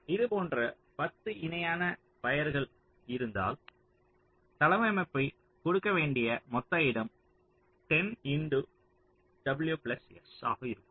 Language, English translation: Tamil, so if there are ten such parallel wires we have to layout, the total amount of space you have to give will be ten into w plus s